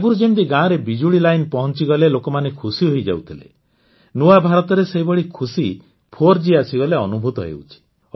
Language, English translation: Odia, Like, earlier people used to be happy when electricity reached the village; now, in new India, the same happiness is felt when 4G reaches there